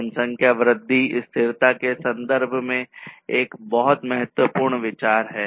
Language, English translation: Hindi, So, population growth is a very important consideration in terms of sustainability